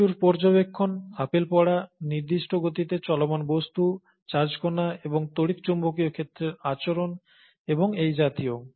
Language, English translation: Bengali, Lot of observations, apple falling, object moving at a certain speed, behaviour of charged particles and electromagnetic fields, and so on